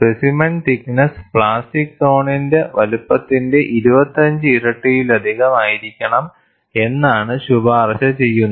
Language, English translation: Malayalam, And what is recommended is, the specimen thickness should be more than 25 times of the plastic zone size